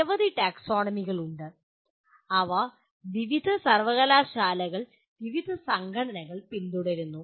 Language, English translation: Malayalam, There are several taxonomies and they are followed by various universities, various organizations